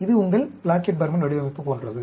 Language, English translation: Tamil, It is like your Plackett Burman design